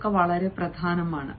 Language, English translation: Malayalam, that is very important